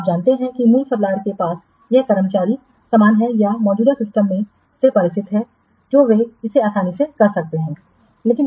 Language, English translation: Hindi, So, you know, the original supplier has the staff similar with or familiar with the existing system